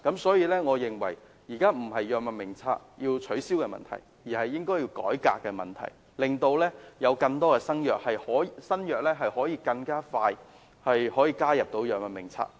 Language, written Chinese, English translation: Cantonese, 所以，我認為現時要解決的不是要取消《藥物名冊》的問題，而是應該要進行改革，令更多新藥可以盡快加入《藥物名冊》。, For that reason I consider what we should deal with now is not the question of the abolition of the Drug Formulary but the reform of the Drug Formulary so that more new drugs can be added to the Drug Formulary